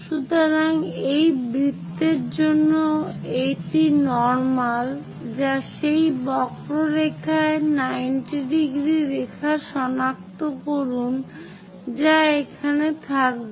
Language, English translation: Bengali, So, this is the normal to that circle locate a 90 degrees line on that curve that will be here